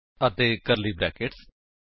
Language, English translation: Punjabi, And curly brackets